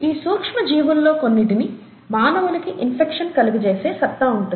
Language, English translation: Telugu, The micro organisms, some of which have the capability to cause infection in humans